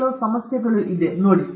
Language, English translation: Kannada, See these are the some of the issues